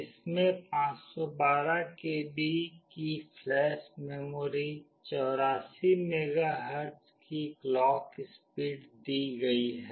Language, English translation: Hindi, It has got 512 KB of flash memory, clock speed of 84 MHz